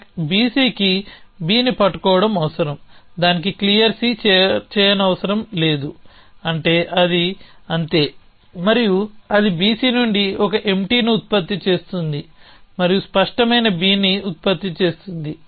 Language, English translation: Telugu, So, stack B C requires holding B it requires clear c it requires on no in that is all and it produces a from on b c produces a empty an produces clear B